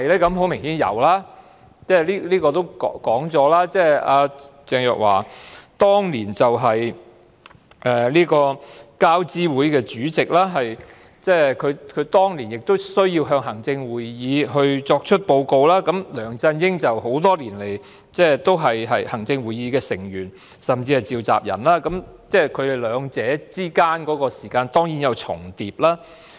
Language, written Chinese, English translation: Cantonese, 很明顯是有的，這是已經說過的，鄭若驊當年是交通諮詢委員會主席，她當年需要向行政會議報告，而梁振英多年來也是行政會議的成員，甚至是召集人，所以他們兩人之間當然有工作關係。, Obviously there was and this has already been mentioned . Back then Ms Teresa CHENG was Chairman of the Transport Advisory Committee who needed to report to the Executive Council annually while LEUNG Chun - ying had been a Member and even the Convenor of the Executive Council for many years . Hence there was surely a working relationship between them